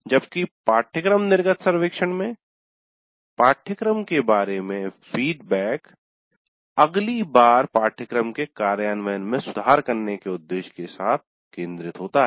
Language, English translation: Hindi, Whereas the focus in a course exit survey is to get feedback regarding the course with the objective of improving the implementation of the course the next time